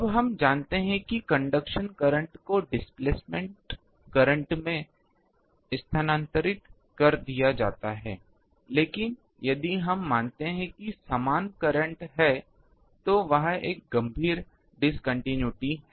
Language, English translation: Hindi, Now, we know that it goes to con ah conduction current gets transferred to displacement current, but if throughout we assume there is same current, then there is a severe discontinuity there